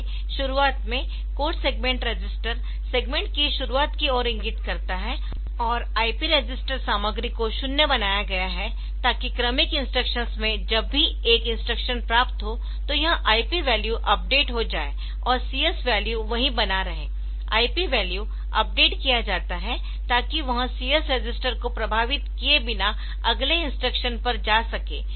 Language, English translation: Hindi, So, at the beginning, code segment register has been made to point to the beginning of the segment and the IP register content is made zero, so that in successive instruction whenever one instruction has been fetched, this IP valve is updated and CS value remain same the IP value is updated, so that it can go to the next instruction without affecting the CS register